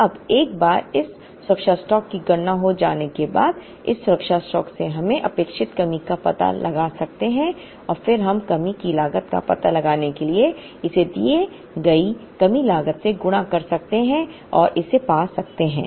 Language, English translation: Hindi, Now, once this safety stock is computed now, from this safety stock we can find out the expected shortage and then we can multiply to find out the shortage cost multiply it with the given shortage cost and find it